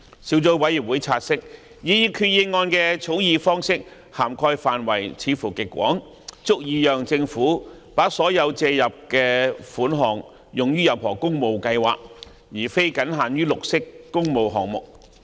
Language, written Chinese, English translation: Cantonese, 小組委員會察悉，擬議決議案的草擬方式涵蓋範圍似乎極廣，足以讓政府把所借入的款項用於任何工務計劃，而非僅限於綠色工務項目。, The Subcommittee notes that the proposed Resolution as drafted appears to be wide enough to allow the Government to expend the amount of borrowings on any public works programme not just green public works projects